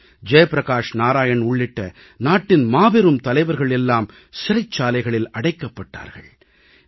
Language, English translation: Tamil, Several prominent leaders including Jai Prakash Narayan had been jailed